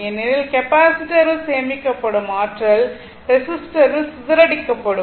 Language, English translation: Tamil, Because, energy stored in the capacitor will be dissipated in the resistor